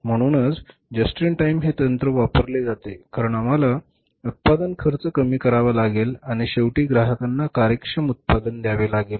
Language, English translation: Marathi, So, just in time is means why it is there because we have to reduce the cost of production and finally pass on an efficient product to the customers